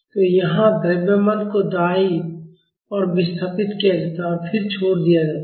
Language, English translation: Hindi, So, here the mass is displaced towards right and then it is released